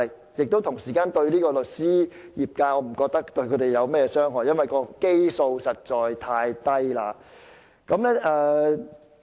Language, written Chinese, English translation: Cantonese, 我不覺得這樣做會對律師業界有何傷害，因為基數實在太低。, I do not think it will do any harm to the legal profession because the base is too low